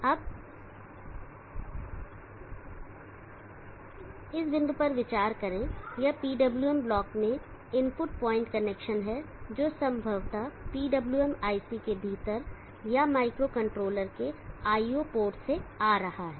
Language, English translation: Hindi, Now consider this point, this is the input point connection in the PWM block which probably may be within a PWM IC or for coming from an IO port of micro controller